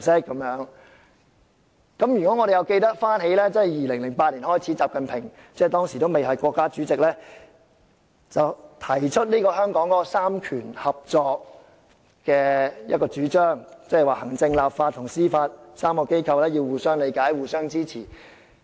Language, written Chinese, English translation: Cantonese, 如果我們記得從2008年開始，習近平當時尚未擔任國家主席，便提出香港"三權合作"的主張，即行政、立法及司法3個機構要互相理解、互相支持。, Members may recall that back in 2008 before XI Jinping assumed the position of the President of the Peoples Republic of China he already advocated the idea of cooperation of powers in Hong Kong which means mutual understanding and support among the executive authorities the legislature and the judiciary